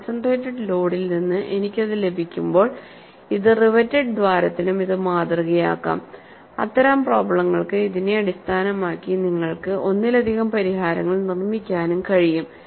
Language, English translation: Malayalam, So, when I have it from concentrated load, this could also model for riveted hole, that kind of problems and you could also construct multiple solutions based on this